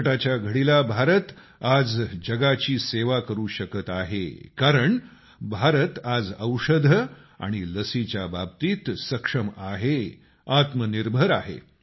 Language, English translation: Marathi, During the moment of crisis, India is able to serve the world today, since she is capable, selfreliant in the field of medicines, vaccines